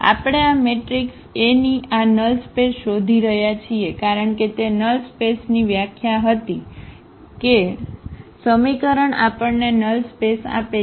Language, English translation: Gujarati, We are looking for the null space of this null space of this matrix A because that was the definition of the null space that all the I mean the solution of this system of equation gives us the null space